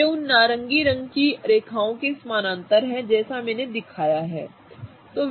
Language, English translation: Hindi, So, they are parallel to those orange colored lines as I have shown